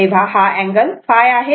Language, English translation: Marathi, So, angle should be phi